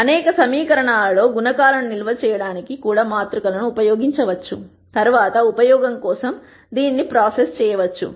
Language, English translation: Telugu, Matrices can also be used to store coe cients in several equations which can be processed later for further use